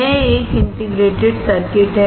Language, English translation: Hindi, This is what is an integrated circuit